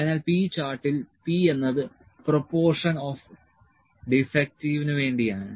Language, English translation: Malayalam, So, p chart is the p is for fraction defective, p for the proportion of defective